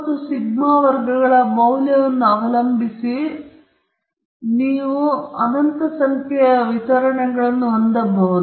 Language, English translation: Kannada, Now, depending upon the value of mu and sigma squared you can have infinite number of distributions